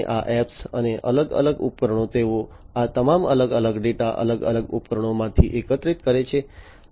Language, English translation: Gujarati, So, these apps and different devices they, they collect all these different data from the different equipments